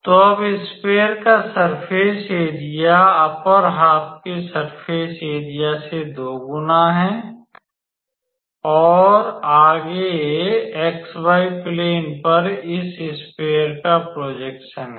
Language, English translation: Hindi, So, now the surface area of the sphere is twice the surface area of the upper half, right and further the projection of this sphere on xy plane is, right